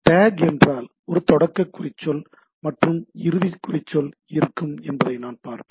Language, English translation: Tamil, So, it is there should be a start tag, and there should be a end tag